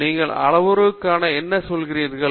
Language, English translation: Tamil, So what do you mean by parameters